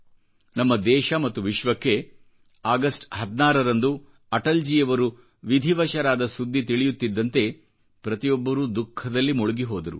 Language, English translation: Kannada, As soon as the people in our country and abroad heard of the demise of Atalji on 16th August, everyone drowned in sadness